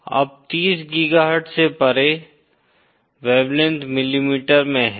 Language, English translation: Hindi, Now beyond 30 GHz, the wavelength is in millimetre